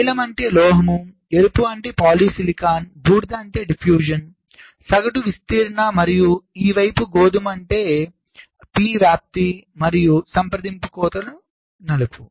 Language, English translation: Telugu, blue means metal, red means polysilicon, grey means diffusion, mean n diffusion, and on this side brown is the convention for p diffusion and contact cuts, black